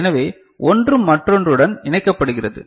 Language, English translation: Tamil, So, one is getting connected to the other